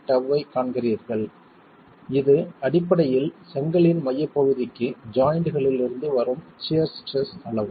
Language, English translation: Tamil, 3 tau that you see there, which is basically the magnitude of the shear stress from the joint to the center of the brick itself